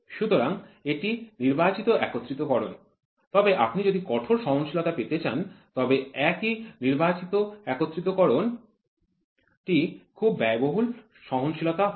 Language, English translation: Bengali, So, this is selective assembly, but if you want to have a tighter tolerance the same selective assembly is very expensive tolerance